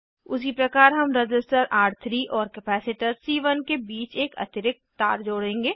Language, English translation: Hindi, Similarly we will connect one more wire between Resistor R3 and capacitor C1